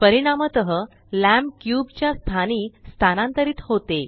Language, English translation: Marathi, As a result, the lamp moves to the location of the cube